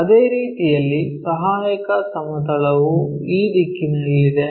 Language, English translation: Kannada, In the same our auxiliary plane is in this direction